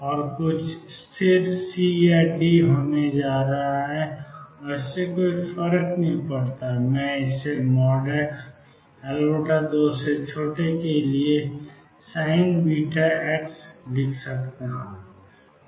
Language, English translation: Hindi, And is going to be some constant C or d does not matter what I call it sin beta x for x mod x less than L by 2